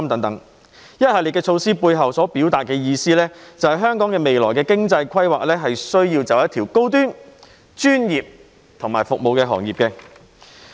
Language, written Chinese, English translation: Cantonese, 這一系列措施背後所表達的意思，就是香港未來的經濟規劃需要走一條高端、專業服務的道路。, This series of measures imply that Hong Kong should follow a path of providing high - end professional services in its future economic planning